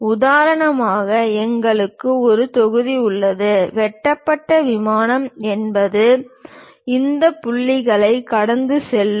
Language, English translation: Tamil, For example, we have a block; perhaps may be cut plane is that, which pass through these points